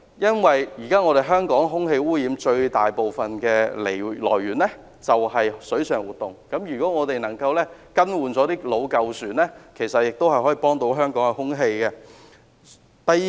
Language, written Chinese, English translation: Cantonese, 現時香港空氣污染的最大來源是水上活動，如果我們能夠更換老舊船隻，也能提升香港的空氣質素。, Today the largest source of air pollution in Hong Kong is water activities . If we can replace old vessels the air quality of Hong Kong can also be improved